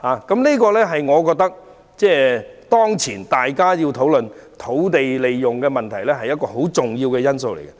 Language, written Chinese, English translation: Cantonese, 這是當前討論土地運用問題時的一個很重要的因素。, This is an important factor in our present discussion on land utilization